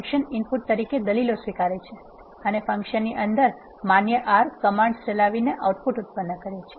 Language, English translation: Gujarati, A function accepts input arguments and produces the output by executing valid R commands that are inside the function